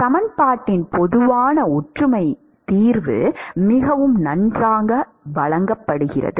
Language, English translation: Tamil, Quite very well presented general similarity solution of the equation